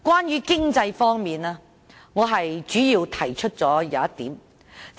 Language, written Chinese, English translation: Cantonese, 在經濟方面，我在修正案中主要提出一點。, I mainly raise one point about economic development in my amendment